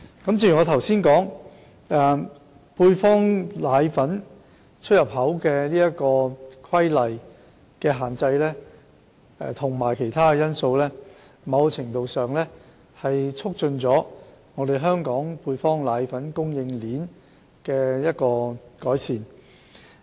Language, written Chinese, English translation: Cantonese, 正如我剛才表示，《規例》對配方粉出入口的限制及其他因素，在某程度上改善了香港配方粉供應鏈。, As I have said just now the restriction imposed by the Regulation on the import and export of powdered formula and other factors have to a certain extent improved the supply chain of powdered formula in Hong Kong